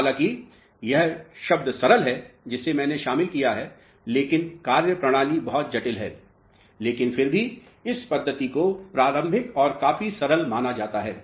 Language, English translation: Hindi, Though the word is simple here which is I have included, but the methodology is very intricate, but even then, this methodology is supposed to be a preliminary one quite simple